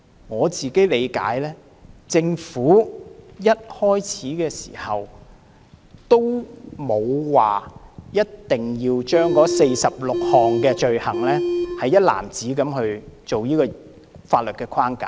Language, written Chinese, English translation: Cantonese, 我本人的理解是，政府沒有說過一定要把這46項罪類一籃子納入法律框架。, My understanding is that the Government has never said that the 46 items of offence have to be incorporated into the legal framework